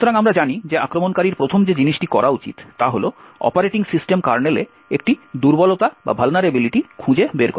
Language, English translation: Bengali, So, the first thing as we know the attacker should be doing is to find a vulnerability in the operating system kernel